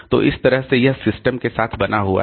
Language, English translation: Hindi, So, that way it remains with the system